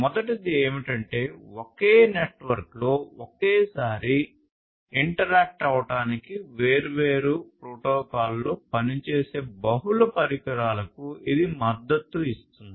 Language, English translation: Telugu, The first one is that it supports multiple devices working on different protocols to interact in a single network simultaneously